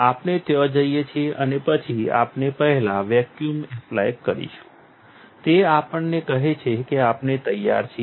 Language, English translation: Gujarati, There we go; and then we will, first we will apply vacuum, tells us that we were ready